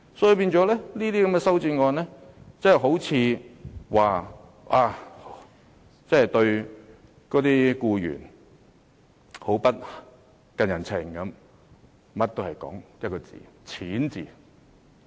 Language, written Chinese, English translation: Cantonese, 修正案看似是訴說《條例草案》對僱員不近人情，最終也只不過是圍繞一個"錢"字。, The amendments seem to accuse the Bill of being too mean to employees yet it all boils down to the question of money